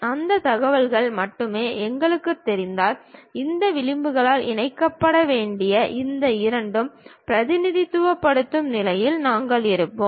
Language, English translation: Tamil, If we know that information only we will be in a position to represent these two supposed to be connected by these edges